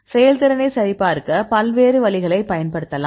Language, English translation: Tamil, You can use various ways to validate the performance